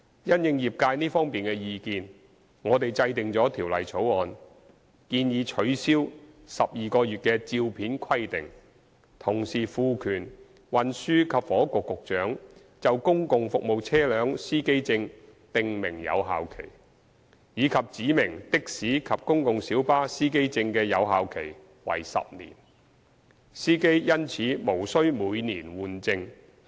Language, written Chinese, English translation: Cantonese, 因應業界這方面的意見，我們制定了《條例草案》，建議取消12個月的照片規定，同時賦權運輸及房屋局局長就公共服務車輛司機證訂明有效期，以及指明的士司機證及公共小巴司機證的有效期為10年，司機因此無需每年換證。, In response to the trades opinions in this regard we have drawn up the Bill which proposes that the 12 - month photo requirement be cancelled and that the Secretary for Transport and Housing be empowered to prescribe a validity period for driver identity plates for public service vehicles and to specify a validity period of 10 years for taxi and PLB driver identity plates so that drivers will not have to renew the plates every year